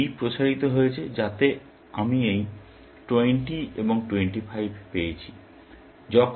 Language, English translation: Bengali, This B expanded so that, I got this 20 and 25